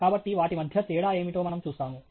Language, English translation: Telugu, So, we just see what is the difference between them